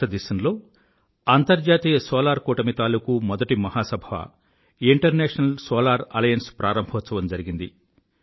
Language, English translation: Telugu, The first General Assembly of the International Solar Alliance was held in India